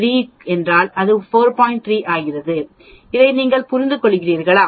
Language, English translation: Tamil, 3, do you understand this